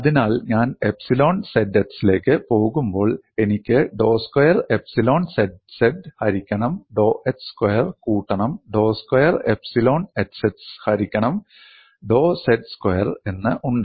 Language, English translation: Malayalam, So, when I go to epsilon zx, I have dou squared epsilon zz divided by dou x squared plus dou squared epsilon xx divided by dou z squared and these are the conditions relating strain components